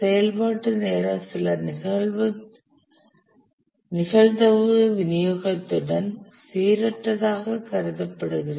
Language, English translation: Tamil, The activity times are assumed to be random with some probability distribution